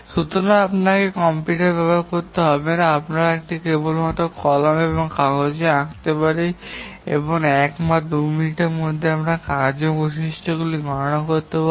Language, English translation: Bengali, And for small task networks, we don't even have to use a computer, we can just draw it by pen and paper and within a minute or two we can compute the task characteristics